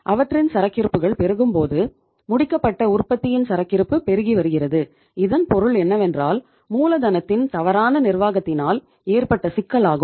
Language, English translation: Tamil, When their inventory is mounting, inventory of the finished product is mounting, it means there is the issue of the mismanagement of the working capital